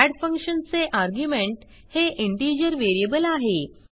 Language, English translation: Marathi, And our add function has integer variable as an argument